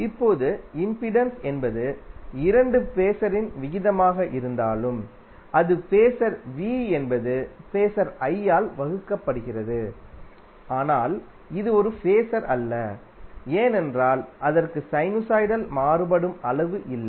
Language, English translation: Tamil, Now although impedance is the ratio of two phasor, that is phasor V divided by phasor I, but it is not a phasor, because it does not have the sinusoidal varying quantity